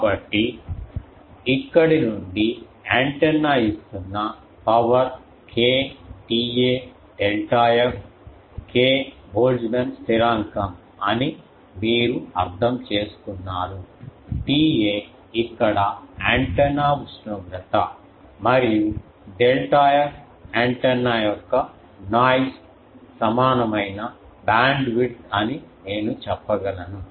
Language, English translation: Telugu, So, from here antenna is giving this is this much power K T A delta f, you understand K is Boltzmann constant, T A is the antenna temperature here and delta f is the antenna delta f I can say is the noise equivalent bandwidth